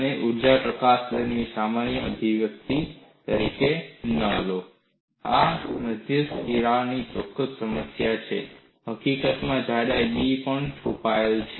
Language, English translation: Gujarati, Do not take this as the generic expression of energy release rate; this is for a specific problem of a center crack; In fact, the thickness b is also hidden